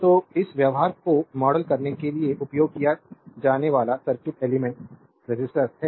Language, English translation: Hindi, So, circuit element used to model this behavior is the resistor